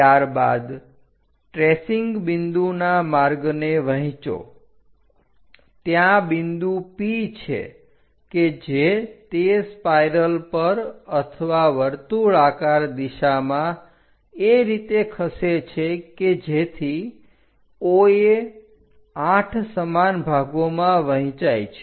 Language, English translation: Gujarati, After that divide the travel of the tracing point there is a point P which is moving on that spiral or circular direction in such a way that OA into 8 parts with numbers